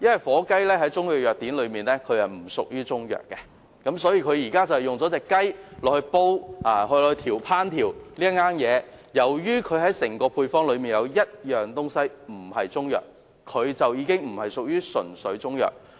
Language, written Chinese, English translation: Cantonese, 火雞在中藥藥典中不屬於中藥，因此即使這款中藥用這種雞隻烹調而成，但由於這種雞在整道配方中不屬於中藥，因此這款產品不能歸類為"純粹中藥"。, But actually it is just a turkey . In Chinese pharmacopoeias turkeys are not regarded as Chinese medicine . Therefore even if this Chinese medicine product is made with this type of chicken it cannot be classified as pure Chinese medicine as this type of chicken in the whole formula is not regarded as Chinese medicine